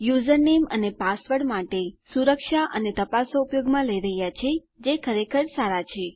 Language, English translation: Gujarati, We are using security and checks for our username and password, which is really good